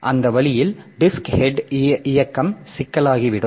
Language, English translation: Tamil, So, that way the disk head movement will become problematic